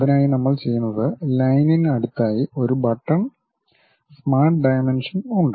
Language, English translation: Malayalam, For that purpose what we do is just next to Line, there is a button Smart Dimension